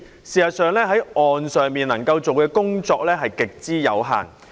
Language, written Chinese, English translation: Cantonese, 事實上，政府在岸上能夠做的工作極之有限。, Actually the Government can do very little on the shore